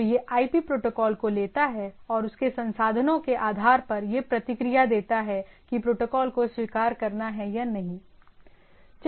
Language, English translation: Hindi, So, it takes that thing, and it based on its resource and etcetera it responses that whether it accept this protocol